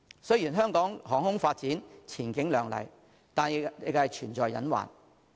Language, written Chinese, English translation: Cantonese, 雖然香港航空業發展前景亮麗，但仍存在隱患。, Although the aviation industry of Hong Kong has a bright future there are hidden risks too